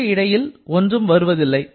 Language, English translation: Tamil, There is nothing in between